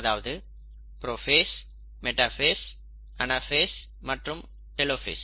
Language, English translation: Tamil, The metaphase, the anaphase and the telophase